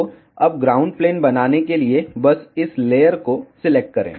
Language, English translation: Hindi, So, now, to make ground plane just select this layer